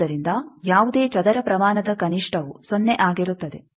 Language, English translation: Kannada, So, minimum of any square quantity is 0